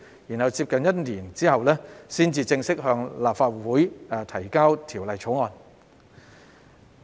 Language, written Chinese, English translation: Cantonese, 再過了大約1年後，才正式向立法會提交《條例草案》。, It took another year or so before the Bill was officially introduced into the Legislative Council